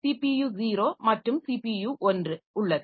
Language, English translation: Tamil, So, this is a CPU 0, this is a CPU 1